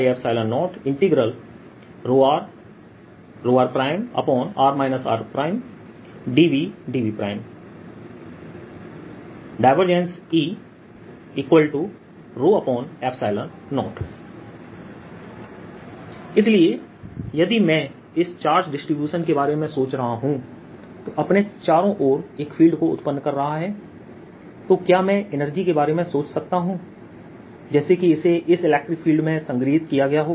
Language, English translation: Hindi, so can i think, if i am thinking of this, this ah charge distribution giving rise to this field all around it, can i think of this energy as if it has been stored in this electric field